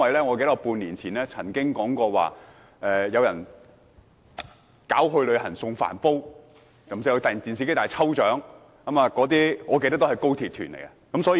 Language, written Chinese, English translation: Cantonese, 我記得半年前曾經說過，有人舉辦"旅行送電飯煲"、"電視機大抽獎"等活動，印象中還有高鐵旅行團。, As I remember six months ago I mentioned that activities such as Free rice cooker for tour groups and Lucky draw for a television set were organized . I also have the impression that some high - speed rail tours were held